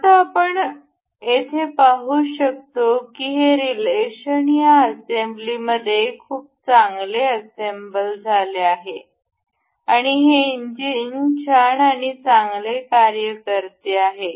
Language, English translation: Marathi, Now, we can see here that this relation is this assembly is very well assembled, and this engine works nice and good